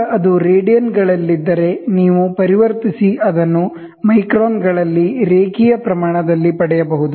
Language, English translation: Kannada, Now, once it is in radians, you can play back and get it into a linear scale in microns